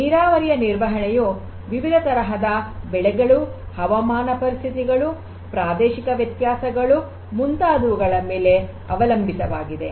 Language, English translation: Kannada, Irrigation management based on the different types of; crops, climatic conditions, different regional variations and so on